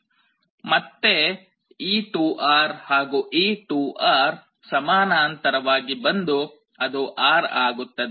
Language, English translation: Kannada, So, again this 2R and this 2R will come in parallel, that will become R